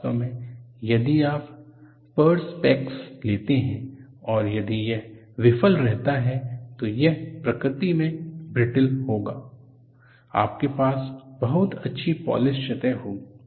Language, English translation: Hindi, In fact, if you take prospects, if it fails, it would be brittle in nature, you will have very nice polished surfaces